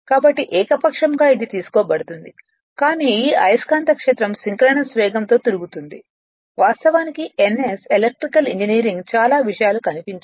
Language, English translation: Telugu, So, arbitrarily it is taken right, but this magnetic field rotating at a synchronous speed ns actually electrical engineering many things are not visible right